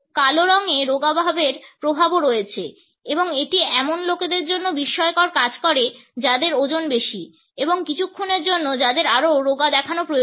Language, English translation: Bengali, Black also has slimming effects and it works wonders for people who are overweight and need to look slimmer for a spoke